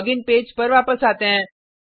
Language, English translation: Hindi, Come back to the login page